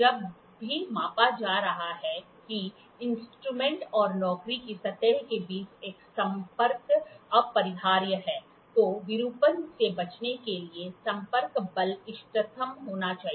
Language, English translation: Hindi, Whenever a contact between the instrument and the surface of the job being measured is inevitable, the contact force should be optimum to avoid distortion